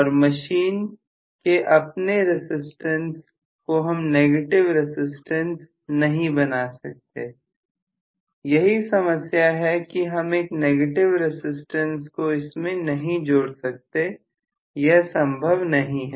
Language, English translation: Hindi, And inherent resistance you cannot make a resistance possible that is the problem right you cannot really add a negative resistance that is not possible